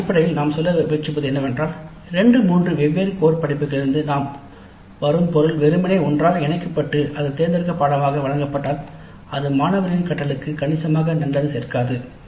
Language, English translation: Tamil, But what essentially we are trying to say is that if the material from two three different core courses is simply clapped together and offered as an elective course, it does not add substantially to the learning of the students